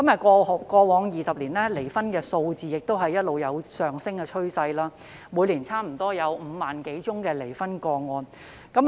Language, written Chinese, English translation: Cantonese, 過往20年離婚的數字一直有上升趨勢，每年接近有5萬多宗離婚個案。, The number of divorces has been on the rise over the past two decades with nearly 50 000 - odd divorces each year